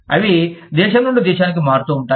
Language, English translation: Telugu, They vary from, country to country